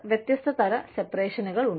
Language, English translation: Malayalam, Some types of separation